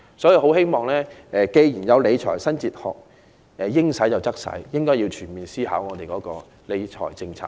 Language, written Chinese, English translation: Cantonese, 既然有"應使則使"的理財新哲學，我很希望政府會全面思考其理財政策。, Now that there is a new fiscal philosophy which advocates allocating resources as required I very much hope that the Government will have a holistic review of its fiscal policy